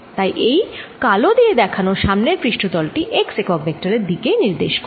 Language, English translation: Bengali, so on the front surface shown by black, the d s is going to be in the direction of x unit vector